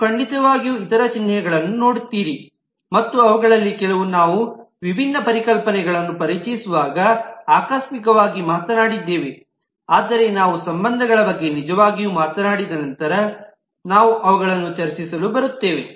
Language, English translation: Kannada, You also, of course, see lot of other symbols and some of which we have casually talked of while we introduced different concepts, but we will come to discussing those once we have actually talked of the relationships